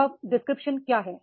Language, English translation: Hindi, So, what is the job description